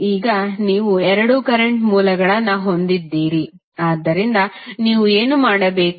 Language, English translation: Kannada, Now, you have now two current sources, so what you have to do